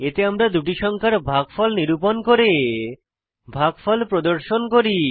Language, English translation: Bengali, In this we calculate the division of two numbers and we display the division